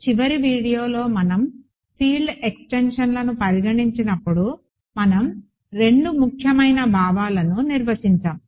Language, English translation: Telugu, In the last video, when we considered field extensions we defined two important notions